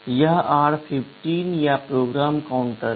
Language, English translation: Hindi, This is r15 or the program counter